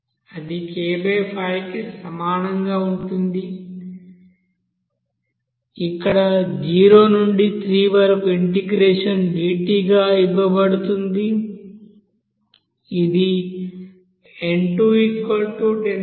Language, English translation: Telugu, That will be is equal to k by 5 here 0 to 3 as you know dt which will be given as here n2 will be is equal to 10